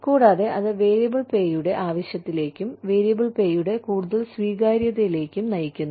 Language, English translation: Malayalam, And, that leads to, a need for variable pay, and more acceptance of the variable pay